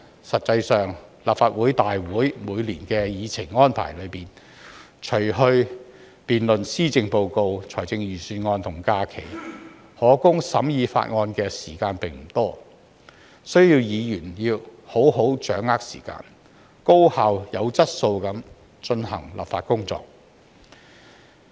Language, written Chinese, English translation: Cantonese, 實際上，在立法會會議每年的議程安排中，除去辯論施政報告及財政預算案的時間和假期，可供審議法案的時間並不多，議員需要好好掌握時間，高效及具質素地進行立法工作。, In practice in the agenda arrangement of the Legislative Council meetings in each year excluding the time for the debate of the Policy Address and the Budget as well as the holidays not much time is left for the deliberation of bills . Members need to use the meeting time well and carry out their legislative work in a highly efficient way and with quality